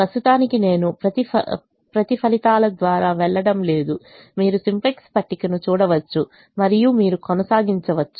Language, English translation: Telugu, i am not going to go through each and every one of the calculations, the you can see the simplex table and you can proceed